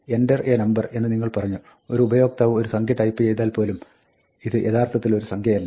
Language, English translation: Malayalam, Even if you say, enter a number and the user types in a number, this is not actually a number